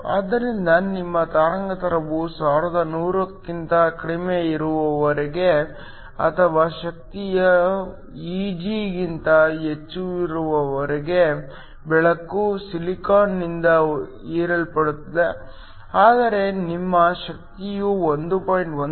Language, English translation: Kannada, So, As long as your wavelength is below 1100 or energy is above Eg then the light will be absorbed by the silicon, but if your energy is between 1